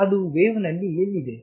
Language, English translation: Kannada, Where is it in the wave